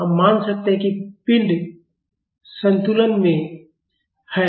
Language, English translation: Hindi, We can assume that the body is in equilibrium